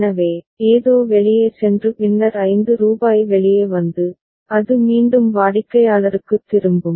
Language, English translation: Tamil, So, something goes out and then rupees 5 comes out and it is again returned to the customer ok